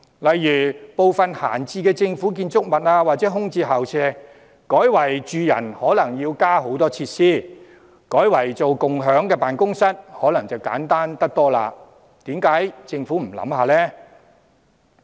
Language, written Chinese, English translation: Cantonese, 例如利用閒置政府建築物或空置校舍，把這些單位改作住宅可能要添加很多設施，但改作共享辦公室可能簡單得多，政府何不考慮一下？, For example it may make use of idle government buildings or vacant school premises . While converting these premises into residential units may require the addition of many facilities it may be much simpler to convert them into shared offices . Will the Government consider this proposal?